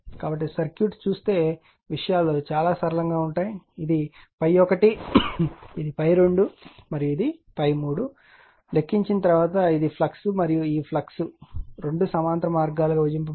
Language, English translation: Telugu, So, when you look at the circuit look at the things are very simple once you have calculated look at that this is phi 1, this is phi 2 and this is the phi 3, that the this is the flux and this flux is divided into 2 this 2 are parallel path right